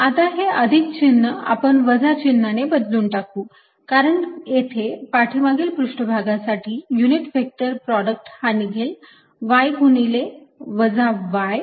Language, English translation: Marathi, now this plus going to replace by minus, because the unit vector product out here is going to be y times minus y for the back surface